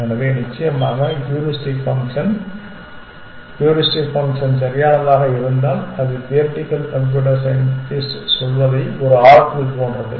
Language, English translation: Tamil, So, heuristic function of course, if the heuristic function is perfect which means it is like an oracle what the theoretical computer scientist would say